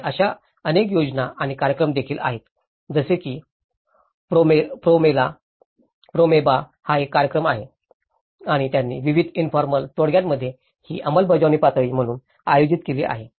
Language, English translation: Marathi, And there are also various schemes and programmes like Promeba is one of the program and they have also conducted this as implementation level in various informal settlements